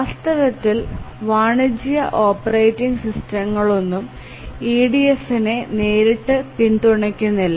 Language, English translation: Malayalam, In fact, as we shall look at the commercial operating system, none of the commercial operating system directly supports EDF